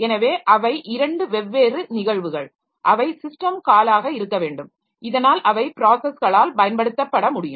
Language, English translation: Tamil, So, they are two different events for which there must be system call available so that they can be utilized by the processes